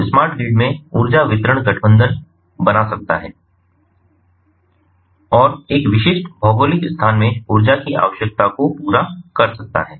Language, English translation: Hindi, so in smart grid, the energy distribution can form coalition and serve the energy requirement in a specific geographic location